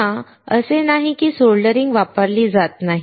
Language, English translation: Marathi, Again, it is not that soldering is not used